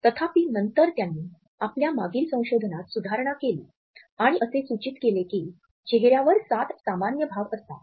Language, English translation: Marathi, However, later on he revised his previous research and suggested that there are seven common universal facial expressions